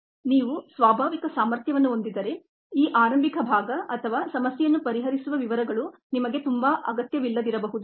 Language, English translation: Kannada, if you have the natural ability, then this initial part or the details of the problem solving may not be very necessary for you